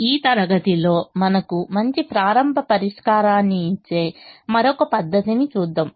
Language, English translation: Telugu, in this class we will see another method that gives us a good starting solution